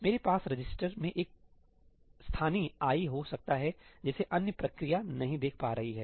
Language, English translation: Hindi, I may have a local ëií in the register which the other process is not able to see